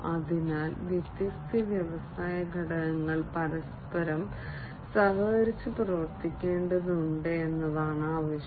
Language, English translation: Malayalam, So, what is required is that the different industry components will have to collaborate with one another